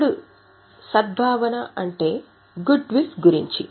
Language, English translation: Telugu, Now this is about the goodwill